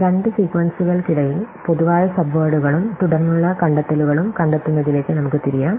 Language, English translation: Malayalam, Let us now turn to the problem of finding Common Subwords and Subsequences between two sequences